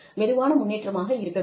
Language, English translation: Tamil, It should be smooth progression